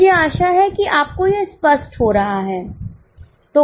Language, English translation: Hindi, I hope it is getting clear to you